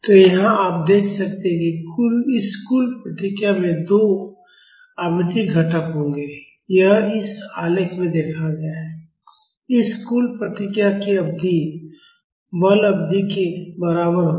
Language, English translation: Hindi, So, here you can see this total response will have two frequency components, it is seen in this plot; the period of this total response would be equal to the forcing period